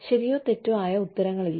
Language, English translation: Malayalam, No right or wrong answers